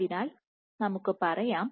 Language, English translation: Malayalam, So, let us say